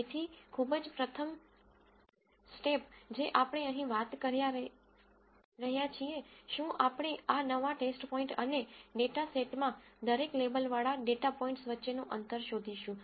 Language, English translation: Gujarati, So, the very first step which is what we talk about here, is we find a distance between this new test point and each of the labelled data points in the data set